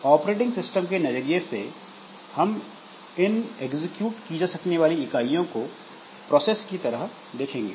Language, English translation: Hindi, So, from the operating system angle, so we'll be looking into this executable units as processes